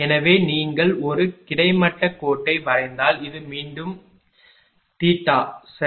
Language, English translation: Tamil, So, if you draw a horizontal line and this one is this is again this one is again theta right